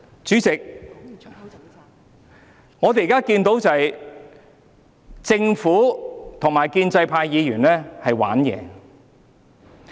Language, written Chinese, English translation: Cantonese, 主席，我們現在看到政府與建制派議員在耍花招。, President we see that the Government and the pro - establishment camp are playing tricks now